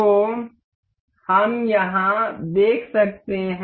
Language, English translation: Hindi, So, we can see here